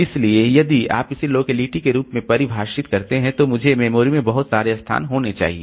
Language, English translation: Hindi, So, if you define that as the locality, then I should have so many locations in the memory